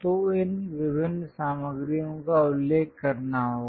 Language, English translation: Hindi, So, these different materials has to be mentioned